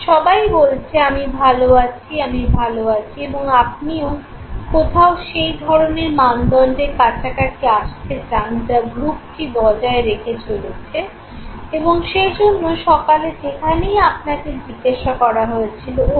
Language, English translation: Bengali, Everybody says I am good, I am good, I am good, I am fine okay, and you want to know somewhere come closure to that type of the standard that the group is maintaining, and therefore wherever you were asked in the morning, oh